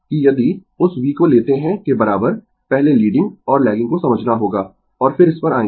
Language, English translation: Hindi, That if you take that v is equal to, first we have to understand leading and lagging and then will come to this